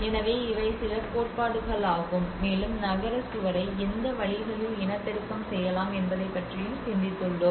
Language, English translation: Tamil, So these are some various theories which has also thought about so how in what ways we can reproduce a city wall